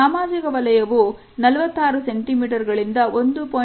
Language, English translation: Kannada, The social zone is somewhere from 46 centimeters to 1